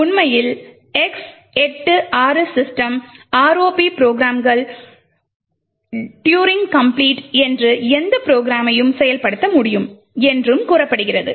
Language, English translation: Tamil, In fact, for X86 systems the ROP programs are said to be Turing complete and can implement just about any program